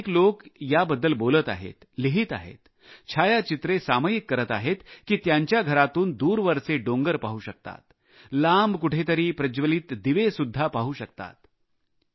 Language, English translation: Marathi, Many people are commenting, writing and sharing pictures that they are now able to see the hills far away from their homes, are able to see the sparkle of distant lights